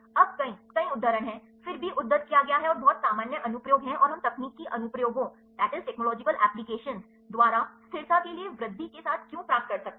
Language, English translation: Hindi, Now, there are many many citations, then also cited and very general applications and why are we can receive for the by technological applications, with increase in stability